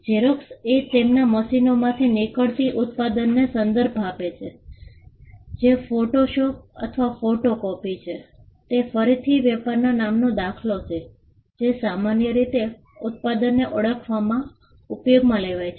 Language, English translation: Gujarati, Xerox referring to the product that comes out of their machines that is a photostat or a photocopy is again an instance of a trade name being commonly used in identifying the product